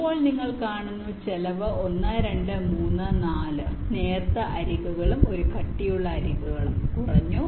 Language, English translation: Malayalam, now you see the cost has dropped down: one, two, three, four thin edges and one thick edges